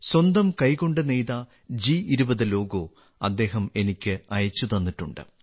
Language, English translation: Malayalam, He has sent me this G20 logo woven with his own hands